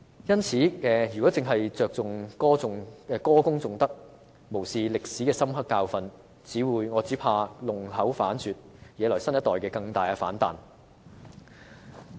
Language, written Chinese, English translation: Cantonese, 因此，若只着重歌功頌德，無視歷史的深刻教訓，只怕會弄巧反拙，惹來新一代更大的反彈。, In the light of this any attempt to focus only on eulogizing achievements and disregard the hard lessons of history may just backfire and trigger an even greater backlash from the younger generation